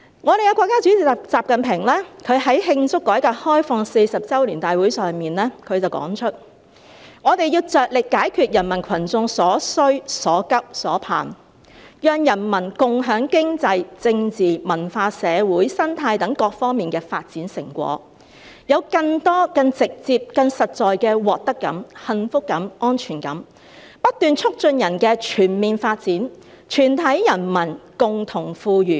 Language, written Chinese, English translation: Cantonese, 我們的國家主席習近平在慶祝改革開放40周年大會上說："我們要着力解決人民群眾所需所急所盼，讓人民共享經濟、政治、文化、社會、生態等各方面發展成果，有更多、更直接、更實在的獲得感、幸福感、安全感，不斷促進人的全面發展、全體人民共同富裕。, At a grand gathering to celebrate the 40 anniversary of the countrys reform and opening - up XI Jinping President of our country said We must focus on meeting the requirements pressing needs and expectations of the people so that the people can share the economic political cultural social ecological and other development achievements and can have greater more direct and more concrete sense of gain happiness and security . We will constantly promote the holistic development of people for the common prosperity of all people